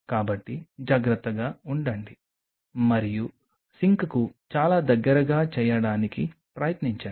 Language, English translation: Telugu, So, just be careful and try to do it very close to the sink